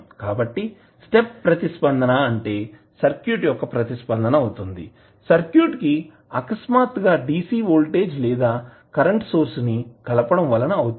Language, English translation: Telugu, So, step response is the response of the circuit due to sudden application of dc voltage or current source